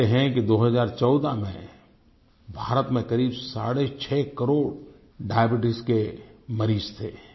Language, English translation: Hindi, It is said that in 2014 India had about six and a half crore Diabetics